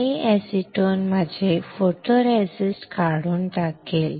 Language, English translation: Marathi, This acetone will strip my photoresist